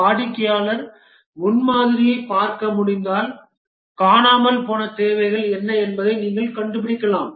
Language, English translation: Tamil, If the customer can look at the prototype, then you can find out what are the missing requirements